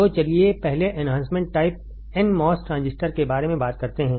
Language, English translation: Hindi, So, let us first talk about enhancement type n mos transistor